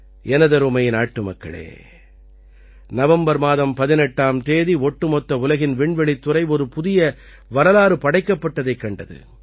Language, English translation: Tamil, My dear countrymen, on the 18th of November, the whole country witnessed new history being made in the space sector